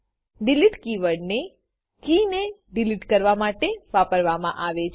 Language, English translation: Gujarati, delete keyword is used to delete the key